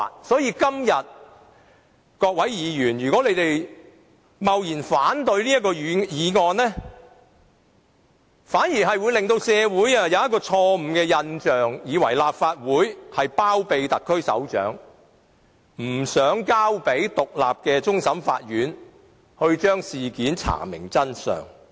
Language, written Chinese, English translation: Cantonese, 所以，如果各位議員今天貿然反對這項議案，反而會令社會產生錯誤的印象，以為立法會包庇特區首長，不想交由獨立的終審法院查明事件的真相。, If Members arbitrarily oppose this motion today it will give the community a wrong impression that the Legislative Council is trying to shield the head of the SAR and is reluctant to entrust the independent CFA to find out the truth